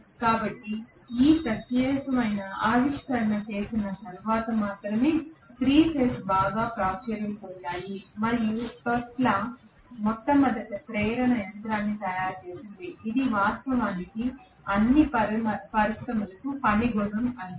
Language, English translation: Telugu, So 3 phase became extremely popular only after this particular discovery was made and Tesla made the first induction machine which actually became the work horse of for all the industries